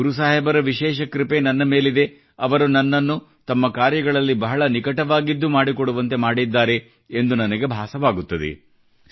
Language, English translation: Kannada, I feel that I have been specially blessed by Guru Sahib that he has associated me very closely with his work